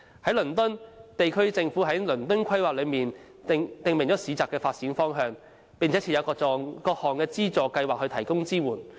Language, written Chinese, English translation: Cantonese, 在倫敦，地區政府在《倫敦規劃》中訂明市集的發展方向，並設有各項資助計劃以提供支援。, In London the local government stipulates the development direction of markets under the London Plan . It also sets up various financial subsidy schemes to provide support